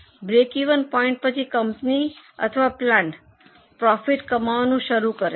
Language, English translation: Gujarati, Beyond break even point, a company or a plant starts making profit